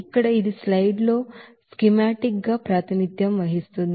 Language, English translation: Telugu, Here it is schematically represented in this slide